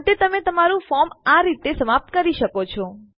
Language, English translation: Gujarati, Finally, you can end your form like that